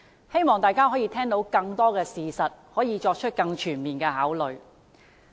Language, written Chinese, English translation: Cantonese, 希望大家可以聽到更多事實，作出更全面的考慮。, I hope people will learn more facts and consider the situation more comprehensively